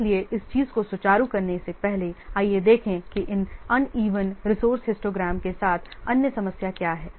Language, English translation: Hindi, So before smoothing this thing, let's see what is the another problem with this uneven resource histogram